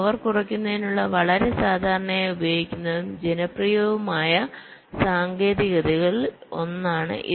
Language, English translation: Malayalam, this is one of the very commonly used and popular technique for reducing power